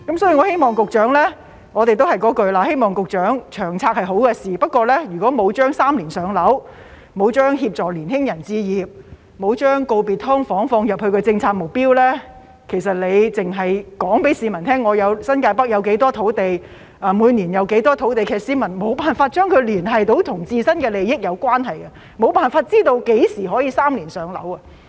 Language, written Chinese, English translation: Cantonese, 所以，我們都是說同一句話，《長遠房屋策略》是好事，不過如果沒有把"三年上樓"、沒有將協助年輕人置業、沒有將告別"劏房"放入政府的政策目標，而局長只是告訴市民，新界北有多少土地、每年有多少土地，其實市民沒有辦法將其與自身的利益聯繫得到，沒有辦法知道何時可以"三年上樓"。, However the Government does not say anything except that they will continue to build housing units . Therefore we will say the same thing . The Long Term Housing Strategy is a good thing but if the targets of three - year waiting time for PRH assisting young people to buy their own homes and bidding farewell to SDUs are not included in the Governments policy objectives and the Secretary only tells the public how much land is available in New Territories North and how much land is available each year there is actually no way the public can relate these things to their own interests and there is no way for them to know when the target of three - year waiting time for PRH can be achieved